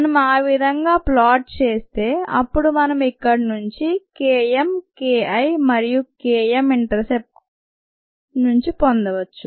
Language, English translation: Telugu, if we plotted that way, then we could get k m, k, k, k, i from here and k m from the intercept